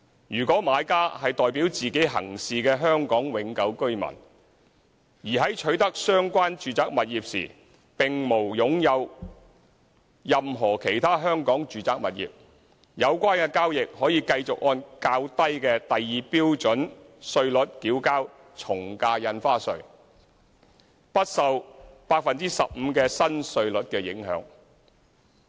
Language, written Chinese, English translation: Cantonese, 如果買家是代表自己行事的香港永久性居民，而在取得相關住宅物業時並無擁有任何其他香港住宅物業，有關交易則可繼續按較低的第2標準稅率繳交從價印花稅，不受 15% 新稅率的影響。, If the buyer is an HKPR acting on hisher own behalf and is not an owner of any other residential property in Hong Kong at the time of acquisition the lower rates at Scale 2 will continue to be applicable to such transactions without being affected by the new rate of 15 %